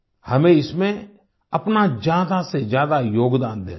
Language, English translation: Hindi, We have to contribute our maximum in this